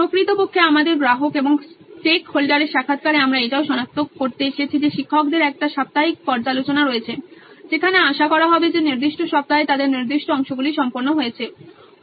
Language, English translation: Bengali, In fact in our customer and stake holder interviews,we have also come to identify that teachers have a weekly review wherein they are expected to see that certain amount of portions are completed in that particular week